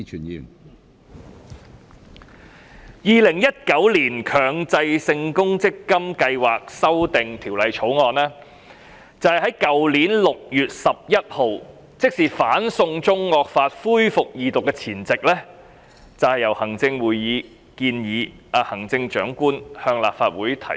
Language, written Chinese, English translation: Cantonese, 《2019年強制性公積金計劃條例草案》是在去年6月11日，即是"送中惡法"恢復二讀的前夕，由行政會議建議行政長官向立法會提出。, The Executive Council advised and the Chief Executive ordered that the Mandatory Provident Fund Schemes Amendment Bill 2019 the Bill should be introduced to the Legislative Council on 11 June last year that is the day before the resumption of the Second Reading of the draconian China extradition law